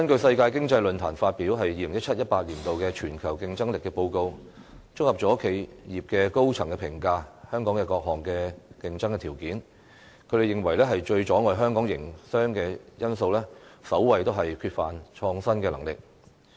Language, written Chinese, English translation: Cantonese, 世界經濟論壇發表的《2017-2018 年度全球競爭力報告》，綜合了企業高層對香港各項競爭條件的評價，他們認為最阻礙香港營商的因素是缺乏創新能力。, The Global Competitiveness Report 2017 - 2018 issued by the World Economic Forum summarizes the comments of business executives on the various competitive edges of Hong Kong . According to them the factor that hinders business operation in Hong Kong most is the lack of capacity to innovate